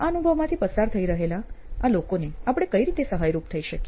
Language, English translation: Gujarati, So, how can we help these guys these people who are going through this experience